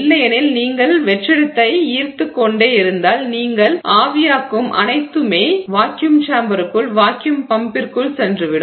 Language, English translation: Tamil, So, otherwise if you keep drawing vacuum then whatever you evaporate will also go off into the vacuum chamber, into the vacuum pump